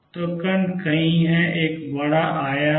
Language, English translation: Hindi, So, particle is somewhere there is a large amplitude